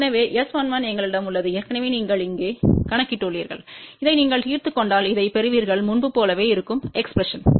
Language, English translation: Tamil, So, S 11 we have already done the calculation you put it over here and now, if you solve this you will get this expression which is same as before